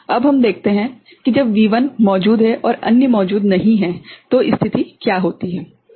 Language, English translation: Hindi, Now, let us look at what happens to the situation when V1 is present and others are not present ok